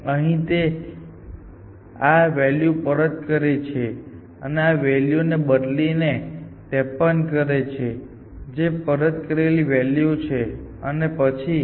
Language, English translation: Gujarati, So, it backs up this thing here, changes this to 53, which is the backed up value and then to seats along this direction